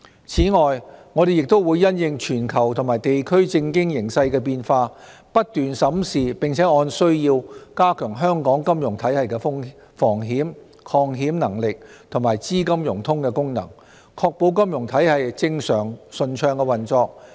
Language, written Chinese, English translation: Cantonese, 此外，我們也會因應全球和地區政經形勢的變化，不斷審視並按需要加強香港金融體系的防險、抗險能力和資金融通功能，確保金融體系正常順暢運作。, Besides in response to changes in the global and regional political and economic situations we will keep reviewing and strengthen where necessary the risk protection resilience and fundraising capacity of Hong Kongs financial system so as to ensure normal and smooth operation of the financial system